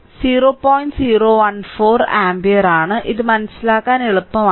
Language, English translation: Malayalam, 014 ampere this is your i right so, this is easy to understand